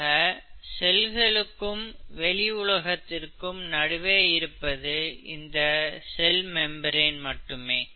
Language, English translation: Tamil, Only the cell membrane distinguishes the cell from its surroundings, right